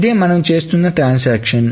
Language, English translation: Telugu, This is the transaction that we are doing